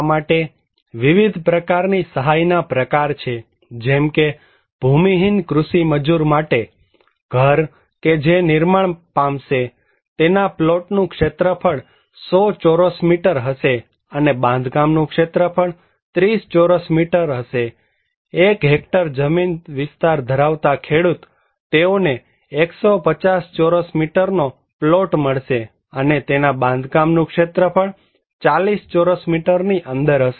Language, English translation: Gujarati, For this is the category of different kind of assistance, like, for the landless agricultural labourer, the house that will be built, plot area would be 100 square meters and the construction area would be 30 square meter, marginal farmers up to 1hectare landholding, they will get 150 square meters plot area and within that 40 square meter of construction area